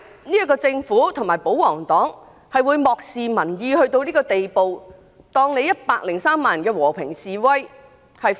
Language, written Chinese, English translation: Cantonese, 為甚麼政府和保皇黨會漠視民意到這個地步？視103萬人的和平示威如無物。, How could the Government and the royalists disregard public views to such an extent completely ignoring the peaceful protest of 1.03 million people?